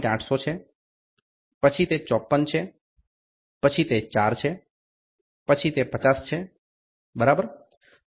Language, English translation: Gujarati, 800 then it is 54 then it is 4 then it is 50, ok